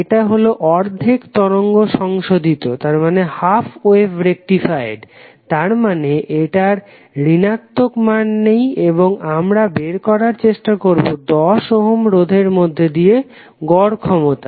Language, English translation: Bengali, It is half wave rectified means the negative value is not there and we want to find the average power dissipated in 10 ohms resistor